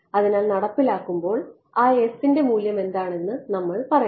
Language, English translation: Malayalam, So, when we come down to implementing we have to say what is the value of that s right